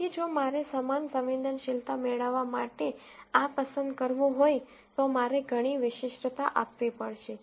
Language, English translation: Gujarati, So, if I have to pick this to get the same sensitivity, I have to give a lot more of specificity